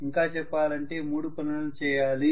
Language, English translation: Telugu, Rather I should say three tasks